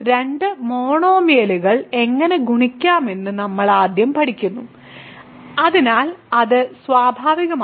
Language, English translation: Malayalam, So, we first learn how to multiply two monomials, so and that is natural